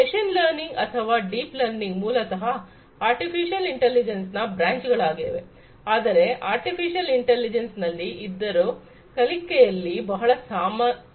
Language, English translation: Kannada, Machine learning or deep learning are basically branches of artificial intelligence, but then they are in artificial intelligence beyond learning there are different issues